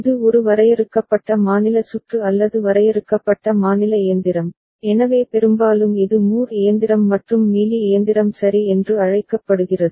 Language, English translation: Tamil, And this is a finite state circuit or finite state machine, so often it is called Moore machine and Mealy machine ok